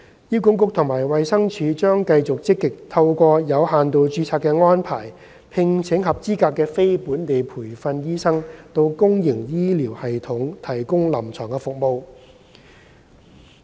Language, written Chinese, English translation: Cantonese, 醫管局及衞生署將繼續積極透過有限度註冊的安排聘請合資格的非本地培訓醫生到公營醫療系統提供臨床服務。, HA and the Department of Health DH will continue to proactively recruit eligible non - locally trained doctors through the limited registration arrangement to provide clinical services in the public health care system